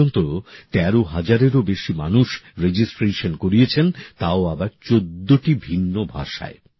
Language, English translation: Bengali, For this more than 13 thousand people have registered till now and that too in 14 different languages